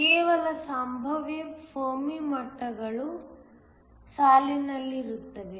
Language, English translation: Kannada, So, that the Fermi levels no longer line up